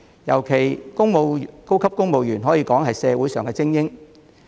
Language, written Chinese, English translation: Cantonese, 尤其是高級公務員，他們可謂社會精英。, This is particularly true of senior civil servants who can be described as the social elite